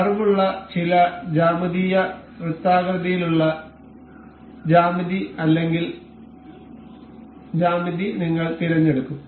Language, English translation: Malayalam, We will select some geometrical circular geometry or geometry with curved